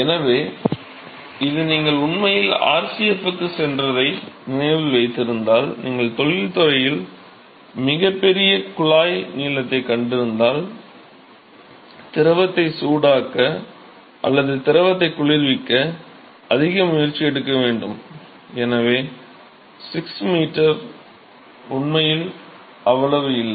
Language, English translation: Tamil, So, this, if you actually remember your visit to RCF, if you see the tube lengths that you have very large in industry, the reason is, it takes the lot of effort to heat the fluid or cool the fluid, and therefore, 6 meter is really not that much